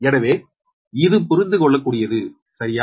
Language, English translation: Tamil, so it is understandable, right